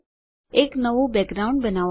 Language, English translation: Gujarati, Create a new background